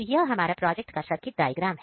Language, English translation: Hindi, So, this is our circuit diagram circuit of this project